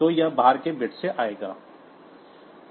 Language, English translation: Hindi, So, it will come from the this outside bit